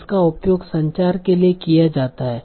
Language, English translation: Hindi, So language is used for communication